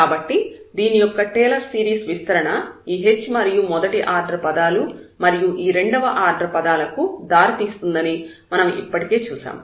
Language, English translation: Telugu, So, which we have already seen that the Taylor series expansion of this will lead to this h, the first order terms and then the second order terms there